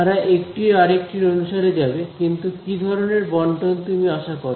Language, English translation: Bengali, They will move according to each other, but intuitively what kind of distribution do you expect